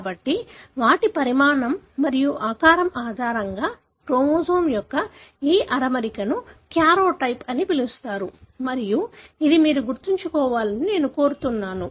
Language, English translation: Telugu, So, this arrangement of chromosome based on their size and shape is called as karyotype and this is something that I would like you to remember